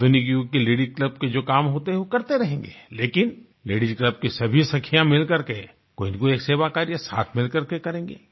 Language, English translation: Hindi, Routine tasks of a modern day Ladies' club shall be taken up, but besides that, let all members of the Ladies' club come together & perform an activity of service